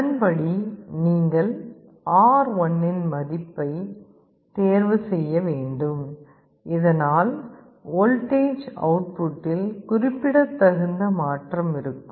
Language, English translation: Tamil, Accordingly you will have to choose the value of R1, so that the change in the voltage output can be significant